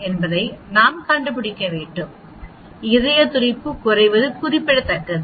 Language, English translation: Tamil, We need to find out whether the decrease in the heart rate is significant